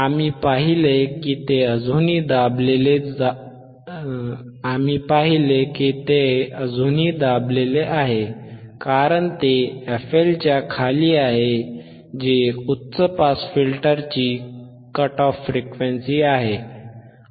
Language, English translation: Marathi, wWe see that still it is still suppressed because it is below f L, the frequency cut off frequency of the high pass filter